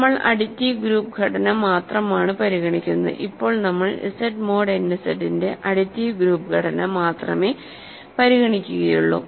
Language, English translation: Malayalam, We are only considering the additive group structure, for now we are only considering the additive group structure of Z mod n Z ok